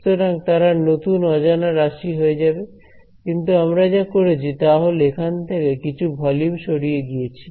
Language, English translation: Bengali, So, they will become the new unknowns, but what have done is punctured out some volume over here